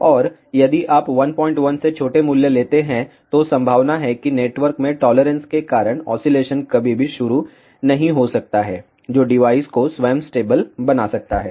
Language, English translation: Hindi, 1, there are chances that oscillation may never start because of the tolerances in the network which may make the device itself stable